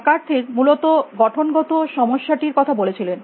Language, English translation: Bengali, McCarthy talked about the frame problem essentially